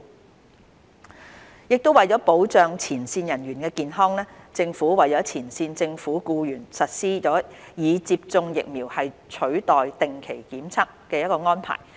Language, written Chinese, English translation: Cantonese, 接種疫苗取代定期檢測為了保障前線人員的健康，政府為前線政府僱員實施"以接種疫苗取代定期檢測"的安排。, Vaccination in lieu of regular testing The vaccination in lieu of regular testing approach is being implemented for frontline government employees to safeguard their health